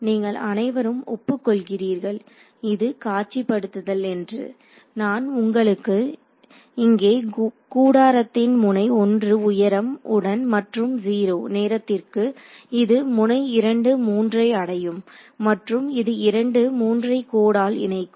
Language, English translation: Tamil, So, you all agree that this visualization that I have shown you over here like a tent with height 1 at node 1 and 0 by the time it reaches node 2 3 and the line connecting 2 3